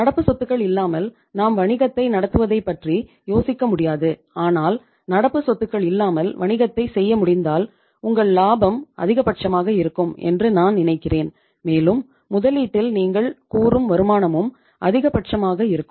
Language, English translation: Tamil, Without current assets we cannot think of running the business but if it is possible to do the business without current assets I think your profit would be maximum and your say uh return on the investment would also be maximum